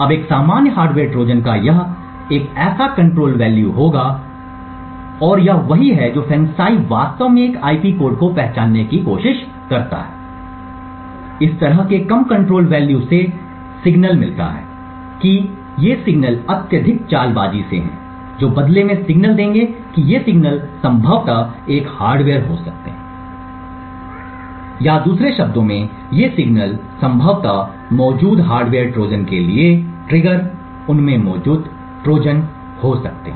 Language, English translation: Hindi, Now a typical Hardware Trojan would have such a control value that is it would have a such a control value and this is what FANCI tries to actually identify given an IP code, such a low control value indicates that these signals are highly stealthy which in turn would indicate that these signals may potentially have a hardware Trojan present in them or in other words these signals may potentially have a trigger for a hardware Trojan present in them